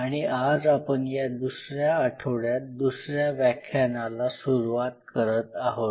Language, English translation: Marathi, So, we are into the second week and today we are starting the second lecture of the second week